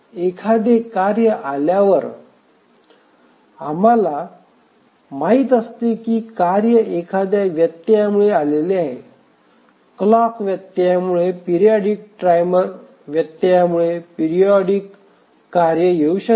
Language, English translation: Marathi, When a task arrives, we know that the tasks arrive due to an interrupt, maybe a periodic task can arrive due to a clock interrupt, a periodic timer interrupt